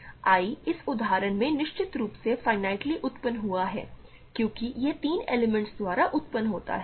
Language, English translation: Hindi, I is in this example certainly finitely generated because it is generated by three elements